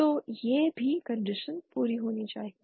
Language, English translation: Hindi, So that is also the condition that must be satisfied